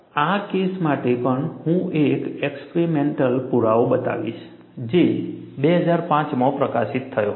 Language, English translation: Gujarati, For this case also, I will show an experimental evidence, which was published in 2005